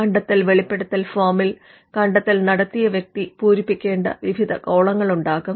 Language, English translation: Malayalam, The invention disclosure form will have various columns which you would ask the inventor to fill